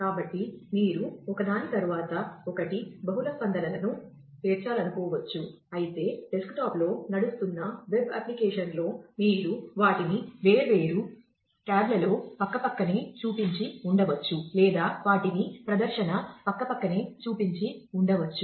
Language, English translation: Telugu, So, you might want to stack multiple responses one after the other whereas, the in a in a web application running on a desktop, you would probably have shown them on different tabs side by side, or would have just shown them side by side on the display